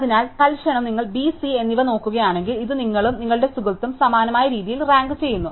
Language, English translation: Malayalam, So, here for instants, if you look at B and C, then this is ranked in a similar way by you and your friend